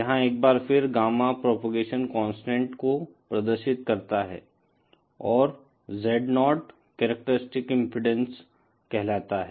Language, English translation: Hindi, Here once again Gamma represents the propagation constant and Z0 is what is known as the characteristic impedance